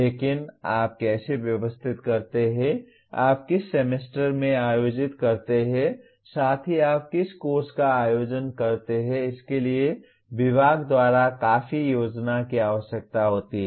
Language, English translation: Hindi, But how do you organize, in which semester you organize, along with what course you organize, this requires considerable planning by the department